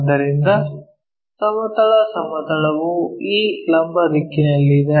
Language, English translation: Kannada, So, horizontal plane is in this perpendicular direction